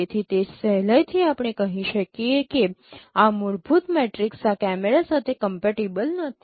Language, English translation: Gujarati, So which can readily tells us this fundamental matrix is not compatible with these cameras